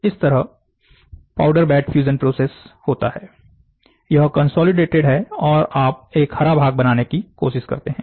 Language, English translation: Hindi, So, the powder bed fusion process happens, so, this is consolidated and you try to make a green part